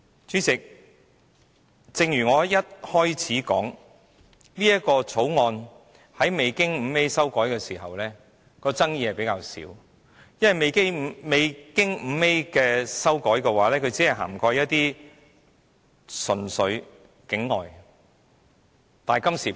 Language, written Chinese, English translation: Cantonese, 主席，正如我在發言開始時指出，這項《條例草案》在未經加入第 5A 條時的爭議比較少，因為未經加入第 5A 條的《條例草案》只涵蓋純粹境外公司。, Chairman just like what I have said at the beginning of my speech this Bill is less controversial before the addition of clause 5A as the Bill without clause 5A covers only offshore companies